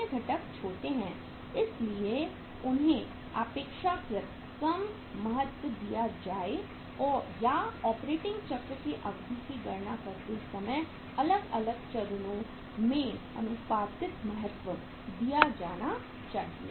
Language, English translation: Hindi, Other components are small so that should be given comparatively lesser importance or proportionate importance should be given to the different stages while calculating the duration of operating cycle